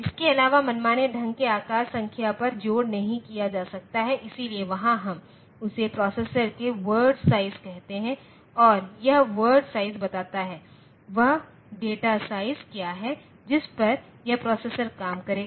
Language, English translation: Hindi, The addition cannot be done over arbitrary sized numbers, so that, there something we call the word size of the processor, sorry it is called the word size of the processor and this word size tells that; what is the data size on which this the processor will operate